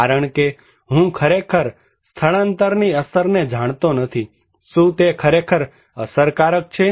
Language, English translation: Gujarati, Because, I really do not know the effect of evacuation, is it really effective